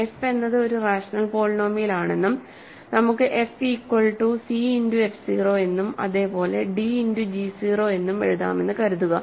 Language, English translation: Malayalam, So, let us take f is a rational polynomial and suppose f can be written as c times f 0 and at the same time as d times g 0